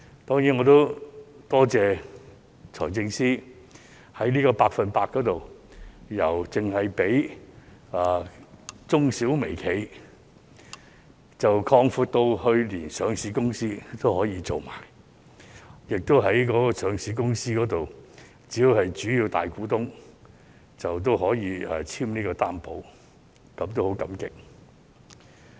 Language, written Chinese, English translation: Cantonese, 因此，我也要多謝財政司司長，在"百分百擔保特惠貸款"由最初只提供予中小微企，擴闊至上市公司也可以申請，而上市公司只要是主要大股東便可以簽署擔保，我就此十分感激。, Therefore I would also like to thank the Financial Secretary for expanding the Special 100 % Loan Guarantee from its original idea of merely covering SMEs to listed companies . And for a listed company the guarantee can be signed by any of its significant shareholders . I am very grateful for that